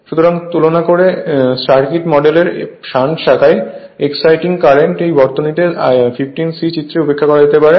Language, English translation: Bengali, So, in comparison the exciting current in the shunt branch of the circuit model can be neglected at start reducing the circuit to the figure 15 C